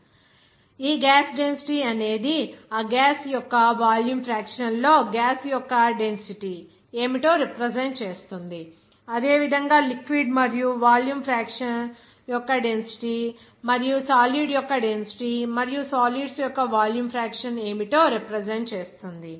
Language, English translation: Telugu, This actual gas density will be represented by that what will be the volume fraction of that gas into what is the density of the gash, and similarly for the density of the liquid and volume fraction of the liquid and also density of the solid and volume fraction of the solids